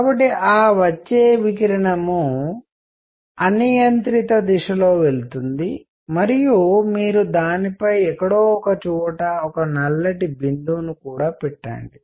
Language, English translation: Telugu, So, that the radiation that comes in, goes in arbitrary direction and you also put a little bit of black spot somewhere